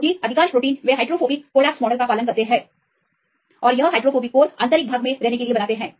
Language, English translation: Hindi, Because most of the proteins; they follow the hydrophobic collapse model and to make this hydrophobic resides to be at the interior of the core